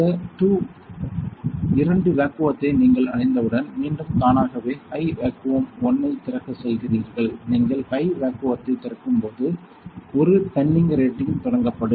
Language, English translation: Tamil, Once you reach by these two vacua, again you go automatically open high vacuum 1; when you open a high vacuum 1 penning rating will be started